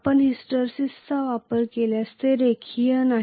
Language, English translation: Marathi, If you consider hysteresis it is not linear anymore